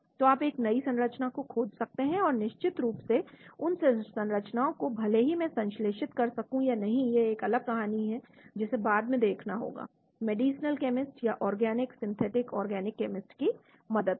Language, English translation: Hindi, So you may come up with new structures, and of course those structures whether I can synthesize them or not that is a different story we may have to check it out later with the help of medicinal chemist or organic, synthetic organic chemist